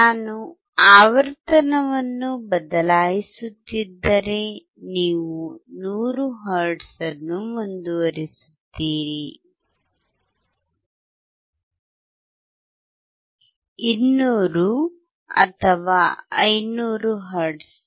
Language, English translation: Kannada, If I keep on changing the frequency, you see keep on 100 hertz; 200 or 500 hertz